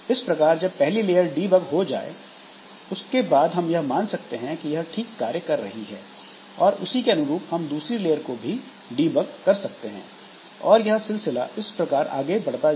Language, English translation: Hindi, So, once the first layer is debugged, so based on that we can, we assume its correctness and based on that we try to debug the second level, then that can go on